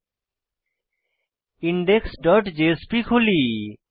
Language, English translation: Bengali, Now, let us open index dot jsp